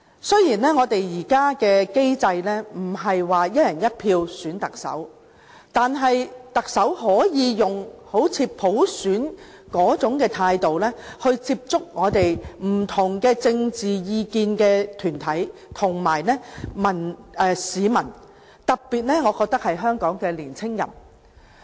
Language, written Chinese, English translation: Cantonese, 雖然我們現在的機制不是"一人一票"選特首，但特首可以採用好像普選般的態度，來接觸持不同政見的團體及市民，特別是香港的年青人。, Although our present mechanism for selecting the Chief Executive is not based on one person one vote a Chief Executive may still approach organizations and people holding different political opinions especially Hong Kongs young people with the mentality of a candidate competing under a system of universal suffrage